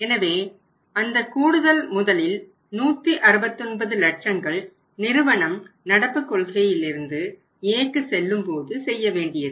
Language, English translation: Tamil, So, it means additional investment of the 169 lakhs has to be made by the company if they want to move from the policy current A